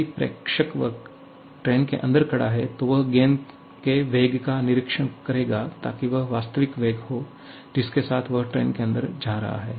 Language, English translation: Hindi, If the observer is standing inside the train itself, he will observe the velocity of the ball to be its actual velocity with which it is moving inside the train